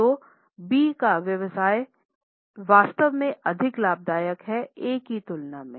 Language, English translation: Hindi, So, B is business is actually more profitable than that of A